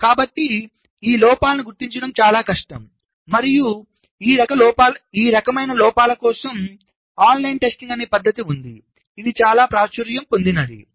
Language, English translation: Telugu, so these faults are relatively much more difficult to detect and for this kind of faults there is a methodology called online testing, which is quite popular